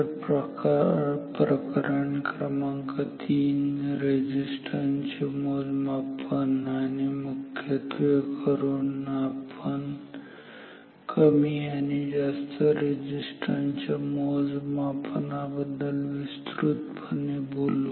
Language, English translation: Marathi, So Chapter 3 resistance measurement and particularly we will talk about low and high resistance measurement in detail because